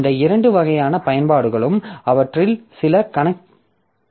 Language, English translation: Tamil, So, these two types of applications, some of them are compute bound